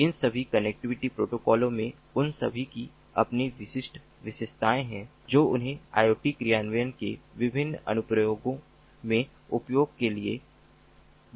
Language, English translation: Hindi, these different ah, ah connectivity protocols, they all have their own distinctive features which make them very attractive for use in diverse applications of iot implementation, ah